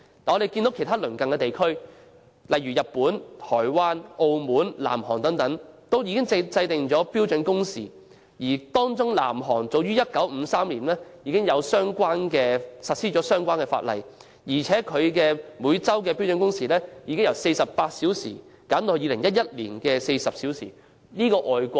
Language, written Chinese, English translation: Cantonese, 反觀其他鄰近地區，如日本、台灣、澳門和南韓等均已制定標準工時，當中南韓早於1953年已實施相關法例，每周標準工時更由48小時減至2011年的40小時。, On the contrary the neighbouring regions such as Japan Taiwan Macao and South Korea have already legislated for standard working hours . Among them South Korea implemented the relevant law as early as in 1953 and the standard working hours per week were reduced from 48 hours to 40 hours in 2011